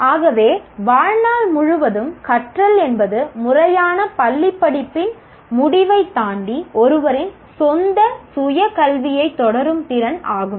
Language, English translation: Tamil, So, lifelong learning is the ability to continue one's own self education beyond the end of formal schooling